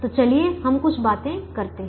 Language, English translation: Hindi, so let us do a few things now